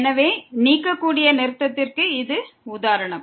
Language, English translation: Tamil, So, this is the example of the removable discontinuity